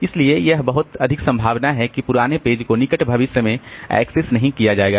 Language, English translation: Hindi, So, it is very much likely that the that old page is not going to be accessed in the near future